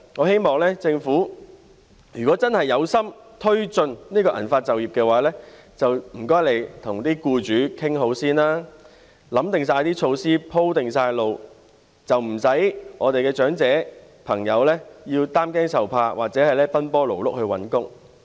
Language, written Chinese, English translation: Cantonese, 如果政府有誠意促進銀髮就業，我希望它先跟僱主協商，制訂措施、"鋪"好路，不要令我們的長者朋友擔驚受怕，或者奔波勞碌地找工作。, If the Government is sincere in promoting employment among silver - haired people I hope it will hold discussions with employers properly with a view to formulating measures and paving the way properly rather than subjecting our elderly people to anxiety and worry or giving them a hectic time looking for work